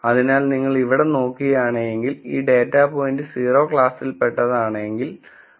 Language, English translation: Malayalam, So, if you look at this here what they say is if this data point belongs to class 0 then y i is 0